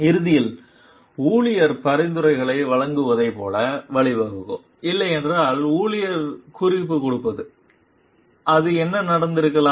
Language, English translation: Tamil, So, that may eventually lead to like employee giving suggestions, employee giving reference otherwise, it may what happened